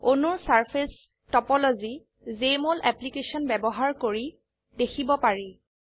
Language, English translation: Assamese, Surface topology of the molecules can be displayed by using Jmol Application